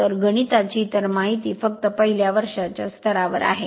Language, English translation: Marathi, So, details mathematics other thing just keeping at the first year level